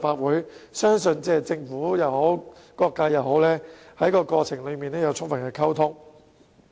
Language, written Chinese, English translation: Cantonese, 我相信政府及各界在過程中也有充分溝通。, I believe the Government has fully communicated with various sectors in the process